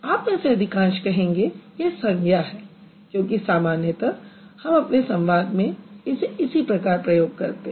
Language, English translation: Hindi, Some of you, like most of you would say it as a noun because that's how we generally use it in the discourse